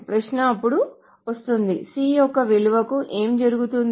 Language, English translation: Telugu, The question then comes is what will happen to this value of C